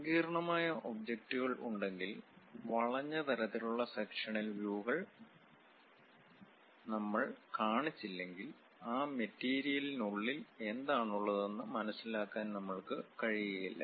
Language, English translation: Malayalam, Very complicated objects if they are present; unless we show that bent kind of sectional views we will not be in a position to understand what is there inside of that material